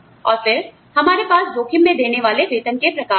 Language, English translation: Hindi, And then, we also have, at risk forms of pay